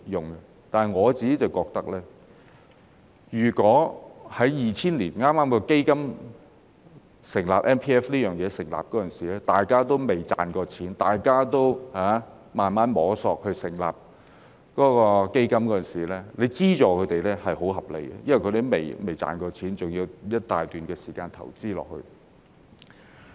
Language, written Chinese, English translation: Cantonese, 可是，我個人覺得，在2000年剛成立 MPF 這項計劃時，那時大家仍未賺到錢，仍在慢慢摸索，如果政府在那時候資助他們，是很合理的，因為他們未有盈利，還要投資一大段時間。, However in my personal opinion when the MPF System was newly established in 2000 the trustees had not yet made any money and were still learning the ropes . It would be reasonable for the Government to grant them a subsidy at that time because not having made any profit they had to keep investing for a long time